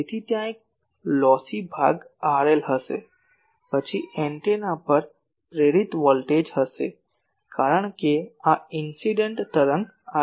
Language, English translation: Gujarati, So, there will be a lossy part R L capital L, now R L, then there will be a induced voltage on the antenna because this incident wave is coming